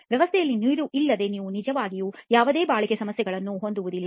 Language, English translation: Kannada, Without water being there in the system you really will not have any durability problems